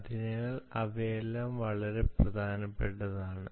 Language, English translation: Malayalam, so this is very, very important